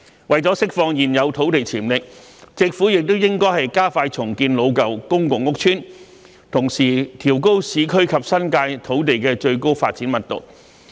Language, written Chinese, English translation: Cantonese, 為了釋放現有土地潛力，政府亦應該加快重建老舊公共屋邨，同時調高市區及新界土地的最高發展密度。, To unleash the potential of existing land the Government should also speed up the redevelopment of old public housing estates while raising the maximum development density of land in the urban areas and the New Territories